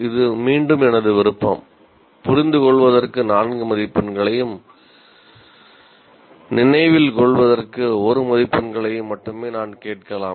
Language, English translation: Tamil, I may still ask only 4 marks for the assignment for understand and 1 mark for the remember